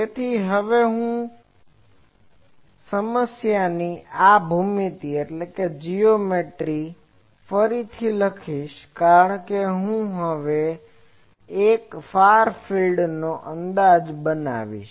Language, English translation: Gujarati, So, I now write the this geometry of the problem again because now, I will make a Far field approximation